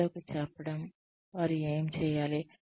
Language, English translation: Telugu, Telling people, what they need to do